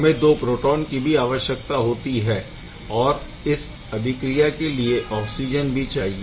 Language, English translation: Hindi, You still need also 2 proton and nothing will happen with in absence of oxygen